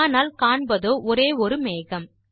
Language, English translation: Tamil, But we can see only one cloud